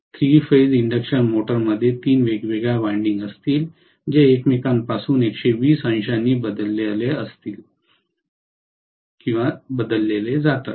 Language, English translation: Marathi, In three phase induction motor there will be three different windings which are phase shifted from each other by 120 degrees